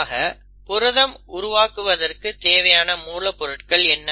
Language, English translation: Tamil, So what are the ingredients for a protein formation to happen